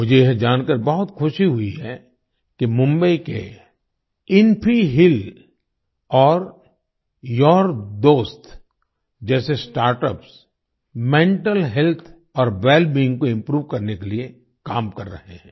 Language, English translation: Hindi, I am very happy to know that Mumbaibased startups like InfiHeal and YOURDost are working to improve mental health and wellbeing